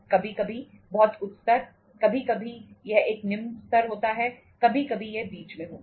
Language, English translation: Hindi, Sometimes very high level, sometime it is a low level, sometime it is in between